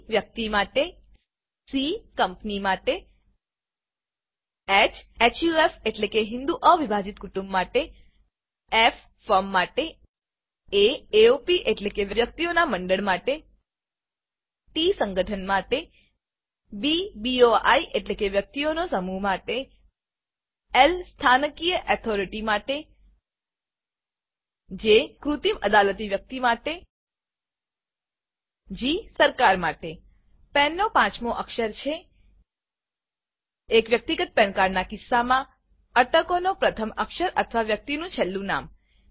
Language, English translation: Gujarati, Each assess is uniquely P for Person C for Company H for HUF i.e Hindu Undivided Family Ffor Firm A for AOP i.e Association of Persons T for Trust B for BOI i.e Body of Individuals L for Local Authority J for Artificial Juridical Person and G for Government The fifth character of the PAN is the first character of the surname or last name of the person, in the case of a Personal PAN card In the image shown, the surname is Yadav